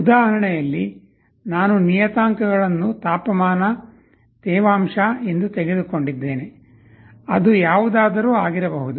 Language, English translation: Kannada, In the example, I took the parameters as temperature, humidity, it can be anything